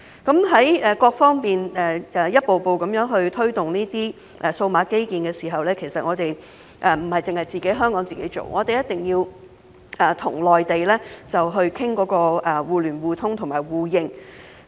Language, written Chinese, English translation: Cantonese, 在各方面一步步地推動這些數碼基建時，其實並不是由香港自己做，而是必須與內地商討互聯互通互認。, In taking baby steps forward with these digital infrastructures on all fronts Hong Kong should not go it alone but discuss with the Mainland for interconnection mutual access and mutual recognition